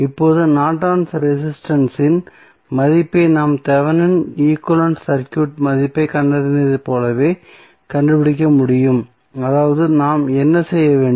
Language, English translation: Tamil, Now, we can also find out the value of Norton's resistance the same way as we found the value of Thevenin equivalent circuit that means what we have to do